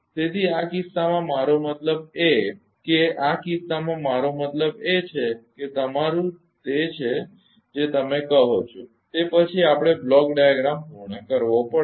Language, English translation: Gujarati, So, in this case I mean in this case I mean very ah your what you call that ah next we have to complete the block diagram